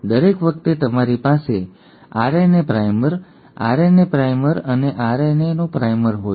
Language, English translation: Gujarati, Every time you have a RNA primer,RNA primer and a RNA primer